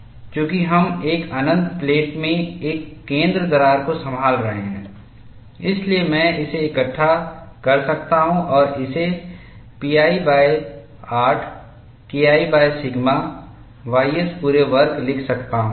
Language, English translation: Hindi, Since we are handling a center crack in an infinite plate, I can bundle this and write this as pi by 8 K 1 by sigma ys whole square